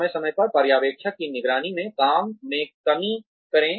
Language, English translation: Hindi, Gradually, decrease supervision checking work, from time to time